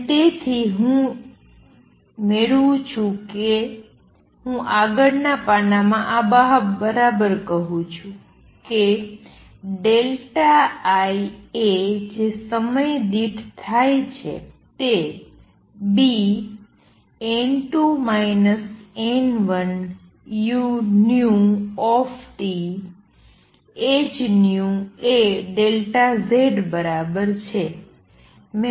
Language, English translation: Gujarati, And therefore, what I get am I right this in the next page is that delta I times a that is all taking place per time is equal to B n 2 minus n 1 u nu T h nu times a delta Z